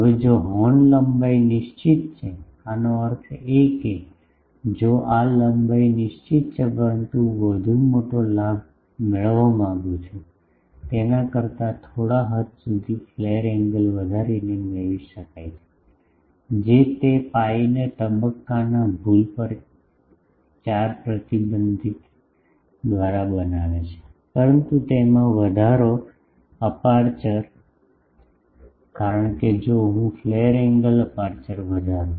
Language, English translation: Gujarati, Now, if the horn length is fixed; that means, if this length is fixed, but I want to have more higher gain, than it can be obtained by increasing the flare angle to some extent, that will cause that pi by 4 restriction on the phase error, but with the increase in the aperture, because if I increase the flare angle aperture will increase